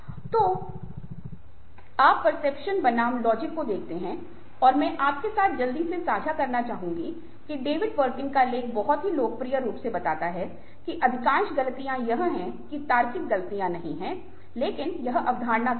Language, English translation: Hindi, so you see that, ah, perception versus logic, ok, and ah, what you i would like to quickly share with you is that, ah, david perkins article very popularly points out that most of the mistakes are that we make are not logical mistakes, but mistakes are perception